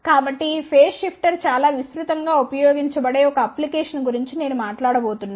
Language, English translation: Telugu, So, I am going to talk about one of the application where these phase shifter are used very widely